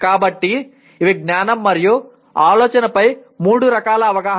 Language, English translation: Telugu, So these are three types of awareness of knowledge and thinking